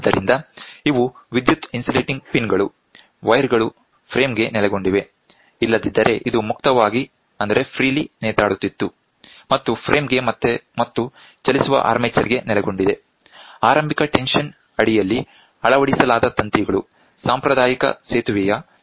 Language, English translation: Kannada, So, these are electrically insulating pins, the wires are located to the frame otherwise this becomes a freely hanging, right and located to the frame and the moving armature; which are mounted under the initial tension forms the active legs of the conventional bridge type circuit